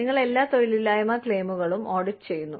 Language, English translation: Malayalam, You audit all unemployment claims